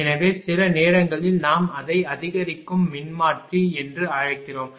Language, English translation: Tamil, So, I mean that is sometimes we call boosting transformer